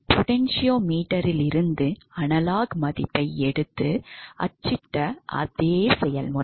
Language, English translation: Tamil, The same process we took the analog value from the potentiometer we print it also